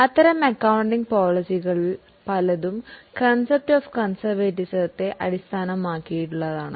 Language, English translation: Malayalam, Several of those accounting policies are based on the concept of conservatism